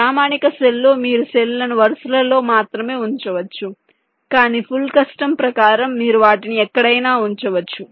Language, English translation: Telugu, they are fixed in standard cell you can place the cells only in rows but in full custom you can place them anywhere